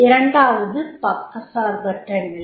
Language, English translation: Tamil, Second is impartiality